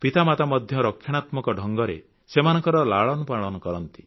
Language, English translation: Odia, Parents also raise their children in a very protective manner